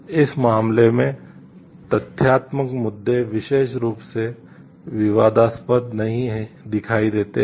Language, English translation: Hindi, In this case, the factual issues do not appear particularly controversial